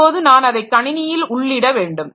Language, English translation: Tamil, Now I have to enter it into the computer system